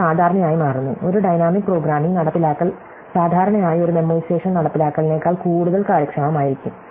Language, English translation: Malayalam, It usually turns out, that a dynamic programming implementation will be usually more efficient than a memoization implementation